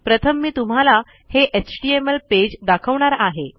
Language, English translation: Marathi, So the first one I am going to explain is this html